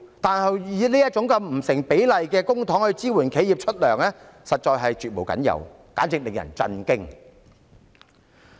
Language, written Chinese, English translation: Cantonese, 但是，以這種不成比例的方式使用公帑來支援企業發放薪金，實在是絕無僅有，簡直令人震驚。, Yet such disproportionate use of public funds to support enterprises payment of wages really cannot be found elsewhere . This is really shocking